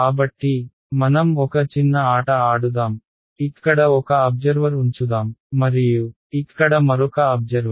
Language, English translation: Telugu, So, let us play a small game let us put one observer over here and there is another observer over here ok